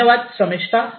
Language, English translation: Marathi, Thank you Shamistha